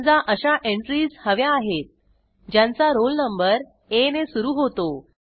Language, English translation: Marathi, Now if we want get those entries whose roll numbers start with A